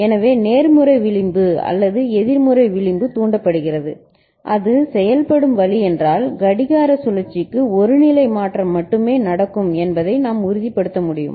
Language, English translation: Tamil, So, either positive edge triggered or negative edge triggered if that is the way it works then we can ensure that only one state change will take place per clock cycle